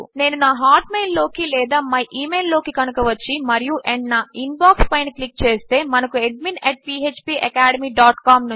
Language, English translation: Telugu, If I come into my hotmail or my email and click on my INBOX, you can see that weve now got a mail from admin @ phpacademy dot com